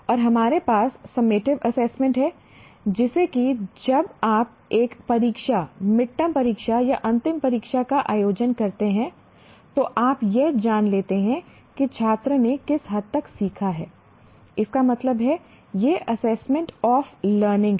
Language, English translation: Hindi, And you have summative assessment like when you conduct an examination, mid term exam or final examination, you are finding out to what extent the student has learned